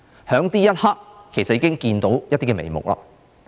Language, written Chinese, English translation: Cantonese, 在這一刻，其實已經看到一些眉目。, Actually at this juncture we already have some clue